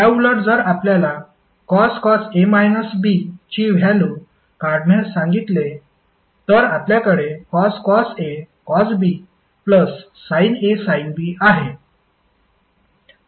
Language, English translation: Marathi, Simply you have to replace plus with minus, that is sine a cos b minus cos a, sine b